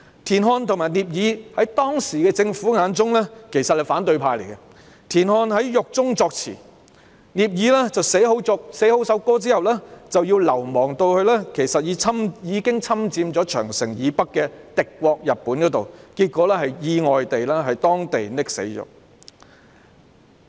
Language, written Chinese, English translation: Cantonese, 田漢和聶耳其實是當時政府眼中的反對派，田漢在獄中作詞，聶耳寫好曲譜後要流亡到已侵佔長城以北的敵國日本，結果在當地意外溺死。, TIAN Han and NIE Er were actually in the opposition in the eyes of the Government at that time . TIAN Han wrote the lyrics in prison . After composing the score NIE Er had to flee to Japan the enemy state which had invaded the north of the Great Wall and was accidentally drowned there in the end